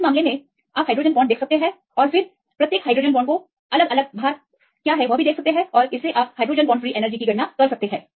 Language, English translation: Hindi, So, in this case you see the hydrogen bonds and then see different weightage to the each hydrogen bond and see the free energy due to the hydrogen bonds